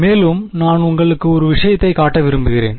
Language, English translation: Tamil, And moreover I just want to show you one thing